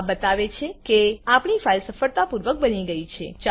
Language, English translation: Gujarati, This shows that our file is successfully created